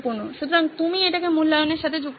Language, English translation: Bengali, So you are linking it back to the evaluation